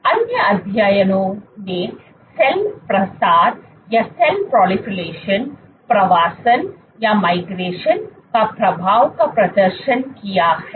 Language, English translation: Hindi, Lot of other studies have demonstrated the effect on cell proliferation, migration